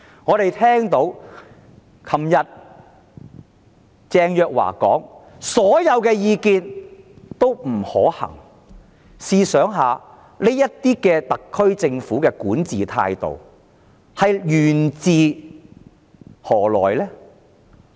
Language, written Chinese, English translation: Cantonese, 我們昨天聽到鄭若驊說所有建議均不可行，試想想，特區政府這種管治態度源自甚麼呢？, Yesterday we heard Teresa CHENGs remark that none of the proposal was viable . Just think about the origin of such mentality of governance of the SAR Government . It naturally originated from the head of the SAR Government